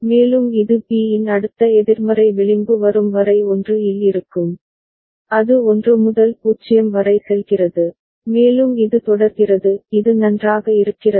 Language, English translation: Tamil, And it remains at 1, till next negative edge of B comes, and it goes from 1 to 0, and this way it continues is it fine